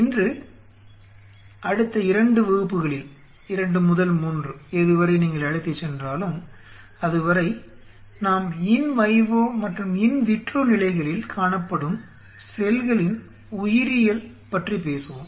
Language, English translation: Tamil, Today next 2 classes what 2 to 3 whatever you know whatever you take us, we will talk about the biology of the cells visible the in vivo and the in vitro conditions